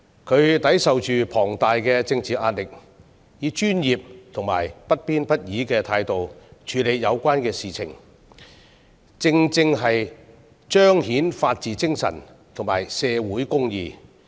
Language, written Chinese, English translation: Cantonese, 她抵受着巨大的政治壓力，以專業和不偏不倚的態度處理有關事情，正正彰顯了法治精神和社會公義。, In the face of tremendous political pressure she handles the matter with a professional and impartial attitude rightly demonstrating the spirit of the rule of law and social justice